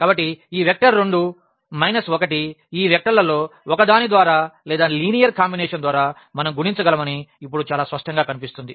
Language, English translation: Telugu, So, it is very clearly visible now that this vector 2 minus 1 we can get by one of these vectors or by the linear combinations we can multiplies